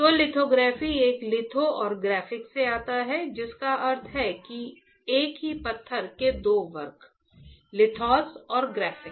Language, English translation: Hindi, So, lithography comes from a one litho and graphic which means that two curve from a single stone two curve froma single stone; lithos and graphic